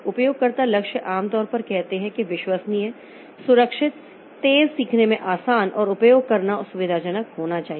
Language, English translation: Hindi, User goals, normally they say that it should be convenient to use easy to learn, reliable, safe and fast